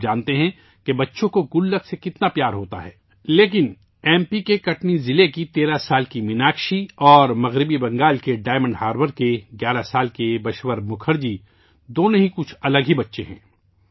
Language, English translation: Urdu, You know how much kids love piggy banks, but 13yearold Meenakshi from Katni district of MP and 11yearold Bashwar Mukherjee from Diamond Harbor in West Bengal are both different kids